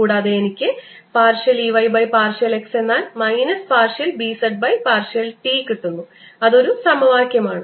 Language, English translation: Malayalam, then gives me partial e y, partial x is equal to minus partial b, which is in z direction, partial t, because these two terms also cancels